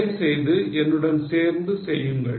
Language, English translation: Tamil, Please do it along with me